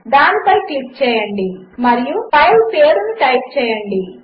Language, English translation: Telugu, Just click on it and type the file name